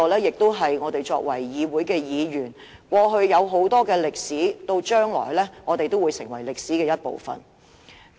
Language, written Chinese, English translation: Cantonese, 議會過去有很多歷史，我們作為議員，將來也會成為歷史的一部分。, This Council has a long history; we being Members will also become part of history in the future